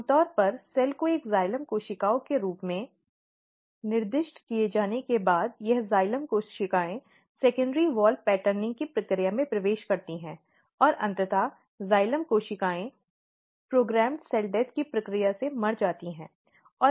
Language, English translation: Hindi, So, if you look normally what happens that if your once your cell is specified as a xylem cells, this xylem cells enters in the process of secondary wall patterning and there are lot of changes occurs and eventually the xylem cells they die through the process of programmed cell death